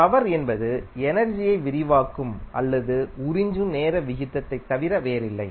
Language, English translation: Tamil, Power is nothing but time rate of expanding or absorbing the energy